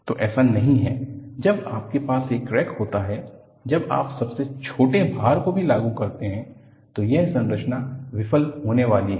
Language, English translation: Hindi, So, it is not that, when you have a crack, when you apply even smallest load, this structure is going to fail